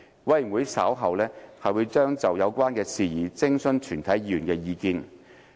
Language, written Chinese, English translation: Cantonese, 委員會稍後將就有關事宜徵詢全體議員的意見。, The Committee would consult Members on this in due course